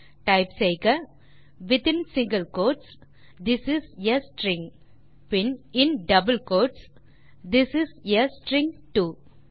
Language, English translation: Tamil, So if you can type within single quotes This is a string, then in double quotes This is a string too